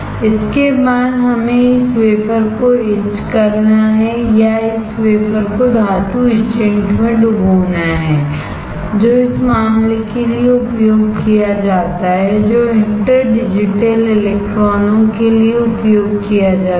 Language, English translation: Hindi, After this we have to etch this wafer or dip this wafer in the metal etchant which is used for the matter which is used for interdigital electrons